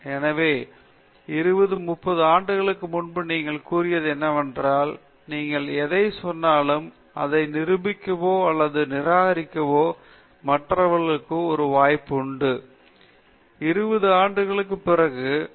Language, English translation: Tamil, So that there is an opportunity for others to find out and prove or disprove whatever you said, whatever you said some 20 30 years back; therefore, whatever concept, whatever theory, whatever experimental results you have generated have they withstood the test of time okay, because time is a violent torrent okay